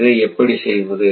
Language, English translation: Tamil, How it operates